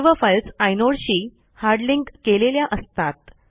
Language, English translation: Marathi, All the files are hard links to inodes